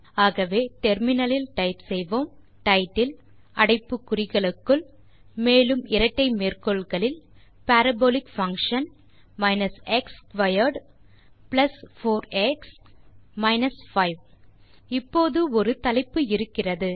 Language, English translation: Tamil, So, we can type in the terminal title within brackets and double quotes Parabolic function x squared plus 4x minus 5 The figure now has a title